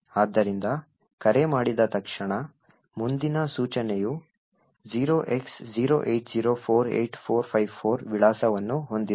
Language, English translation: Kannada, So, soon after the call gets invoked the next instruction has the address 08048454